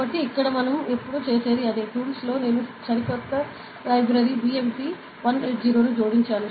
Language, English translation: Telugu, So, here it is a same thing we always used to do ok, we can see that in the tools I have added a new library ok, BMP 180 ok